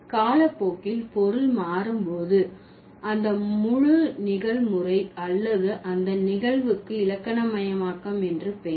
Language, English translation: Tamil, So, when the meaning distinction or the meaning had changed over the period of time, that entire process or that phenomenon is known as grammaticalization